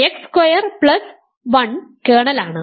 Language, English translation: Malayalam, So, x squared plus 1 is the kernel